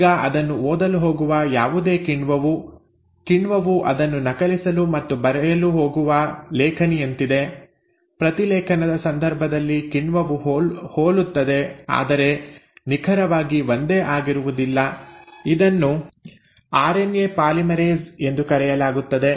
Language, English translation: Kannada, Now whatever is the enzyme which is going to read it; so enzyme is like the pen which is going to copy it and write it down, now that enzyme in case of transcription is similar but not exactly same, similar, it is called as RNA polymerase